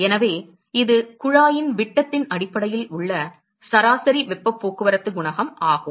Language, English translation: Tamil, So, that is the average heat transport coefficient based on the diameter of the tube